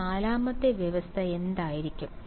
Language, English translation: Malayalam, What will that 4th condition be